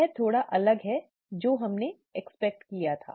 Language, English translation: Hindi, This is slightly different from what we expect